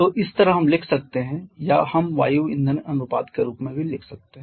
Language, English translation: Hindi, If you want to write like we have used the air fuel ratio earlier